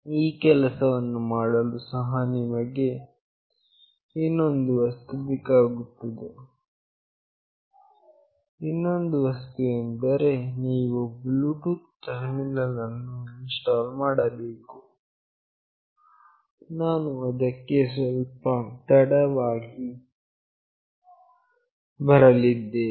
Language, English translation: Kannada, For doing this also you need one more thing that you have to install a Bluetooth terminal, I am coming to that a little later